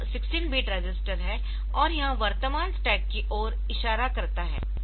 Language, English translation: Hindi, So, it is a 16 bit register, it points to the current stack